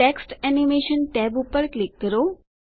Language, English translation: Gujarati, Click the Text Animation tab